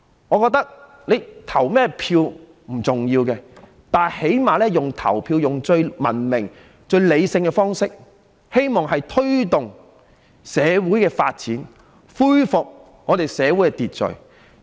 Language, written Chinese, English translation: Cantonese, 我覺得投任何人也不重要，但最低限度用投票這種最文明、理性的方式，希望推動社會發展，恢復社會秩序。, I think it does not matter whom you vote for but at least it is hoped that we can take forward social development and restore social order through the most civilized and rational system of election by ballot